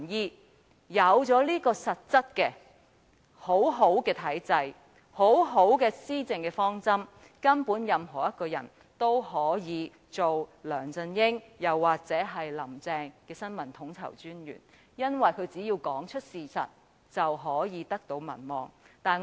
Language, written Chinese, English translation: Cantonese, 當擁有這種實質而良好的體制和施政方針後，任何人都能夠擔任梁振英或"林鄭"的新聞統籌專員，因為他們屆時只須說出事實，便可得到民望。, When such a sound system and these policy objectives are concretely put in place anyone can be appointed as the Information Coordinator of LEUNG Chun - ying or Carrie LAM because they just have to speak the truth to gain popularity